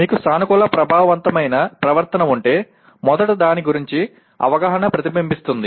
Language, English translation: Telugu, That is if you are a positive affective behavior first gets reflected as awareness of that